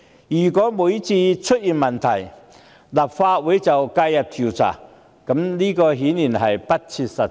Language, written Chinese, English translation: Cantonese, 如果每次出問題，立法會都介入調查，顯然不切實際。, It is clearly impracticable for the Legislative Council to intervene whenever a problem surfaces